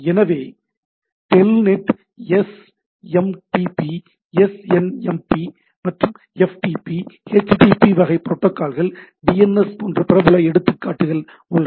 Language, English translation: Tamil, So, there are popular example like Telnet SMTP SNMP, FTP HTTP type protocol DNS and so on and so forth